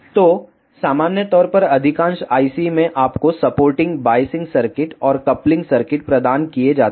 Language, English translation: Hindi, So, in general most of the IC provides you the supporting biasing circuits and the coupling circuits